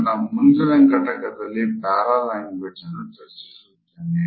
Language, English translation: Kannada, In my next module, I would take up paralanguage for discussions